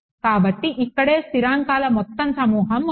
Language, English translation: Telugu, So, there are a whole bunch of constants over here right